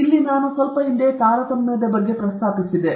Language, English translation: Kannada, So, sometime back I mentioned about discrimination